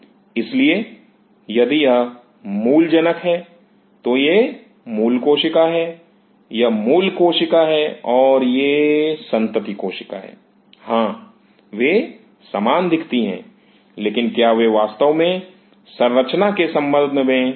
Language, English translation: Hindi, So, if this one is the parent, this is the parent cell, this is the parent cell and this is the progeny cell, yes, they look similar, but are they truly similar in terms of structure